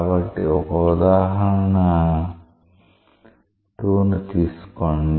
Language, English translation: Telugu, So, take an example 2